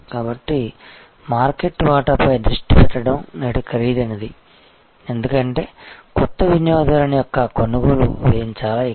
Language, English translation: Telugu, So, focusing on market share is expensive today, because acquisition cost of a new customer is much higher